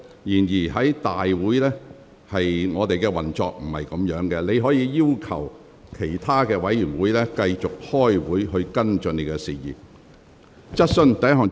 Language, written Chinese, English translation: Cantonese, 然而，立法會會議並非適當的處理場合，你可要求其他委員會再舉行會議，以跟進你提及的事宜。, But the Council meeting is not a suitable occasion for dealing with those queries . You may request other committees to hold further meetings to follow up the issue you have mentioned